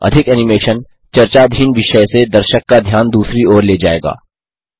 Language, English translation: Hindi, Too much animation will take the attention of the audience away From the subject under discussion